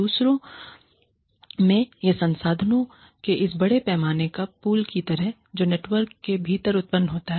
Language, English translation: Hindi, In other, so, it is like this big massive pool of resources, that is generated within the network